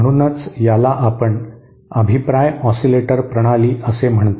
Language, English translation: Marathi, So this is what we call a feedback oscillator system